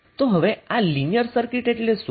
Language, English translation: Gujarati, Now what is a linear circuit